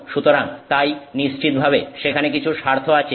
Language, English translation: Bengali, So, so therefore there is interest that is definitely there